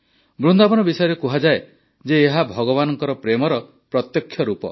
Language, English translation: Odia, It is said about Vrindavan that it is a tangible manifestation of God's love